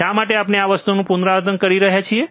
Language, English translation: Gujarati, Now, why we are kind of repeating this thing